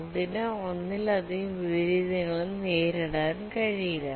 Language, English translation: Malayalam, It cannot suffer multiple inversions of this type